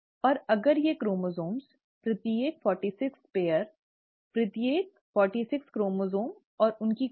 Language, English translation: Hindi, Now if these chromosomes, each forty six pair; each forty six chromosome and its copy